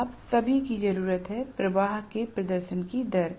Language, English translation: Hindi, All you need is a rate of change of flux that is all